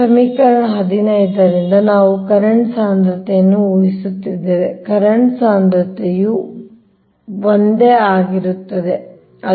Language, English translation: Kannada, now, using equation fifteen, we have, we are assuming the current density